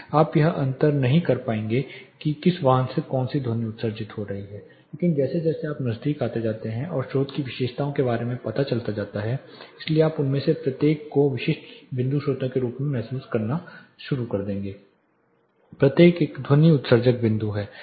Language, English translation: Hindi, You will not be able to distinguish between which vehicle is emitting which sound, but as you get closer and closer the source characteristics are revealed so you will start feeling each of them as specific point sources, each one is a point emitting sound